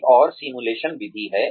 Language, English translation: Hindi, So, there is simulation